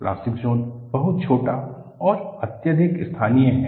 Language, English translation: Hindi, The plastic zone is very small and highly localized